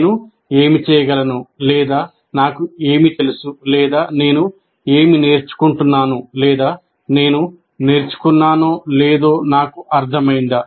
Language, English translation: Telugu, Do I understand what is it that I can do or what is it that I know or whether I am learning or not, whether I have learned or not